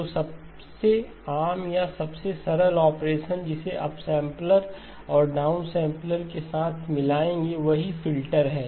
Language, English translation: Hindi, So the most common or the simplest of operations that you would combine with up sampler and down sampler are the corresponding filters